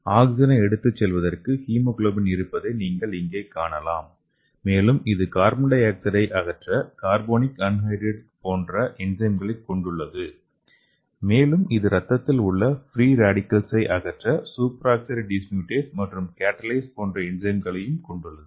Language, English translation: Tamil, You can see here it is having hemoglobin for carrying oxygen and also it is having enzymes like carbonic anhydride for removing the carbon dioxide and it is also having enzymes like super oxide dismutase and catalase to remove the free radicals in your blood